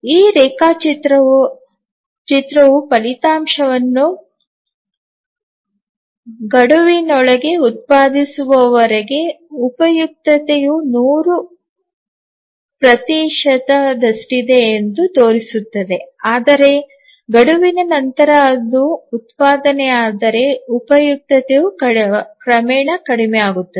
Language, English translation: Kannada, So, as this diagram shows that as long as the result is produced within the deadline, the utility is 100 percent, but if it s produced after the deadline then the utility gradually reduces